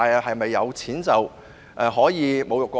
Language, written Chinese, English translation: Cantonese, 是否有錢便能侮辱國歌？, Can people having money insult the national anthem?